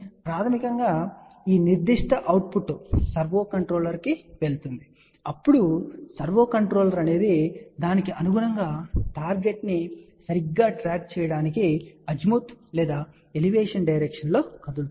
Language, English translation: Telugu, Basically this particular output goes to the servo controller, then servo controller will accordingly move in the Azimuth or Elevation direction to track the target properly